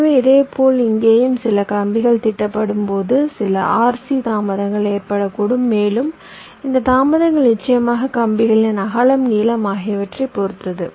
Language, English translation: Tamil, so similarly, here also, when some, some wires are laid out, there can be some rc delays and this delays will be dependent up on the width of the wires, of course, the lengths